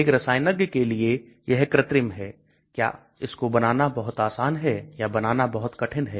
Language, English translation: Hindi, Synthetic, this is for a chemist is it easy to make it or very difficult to make it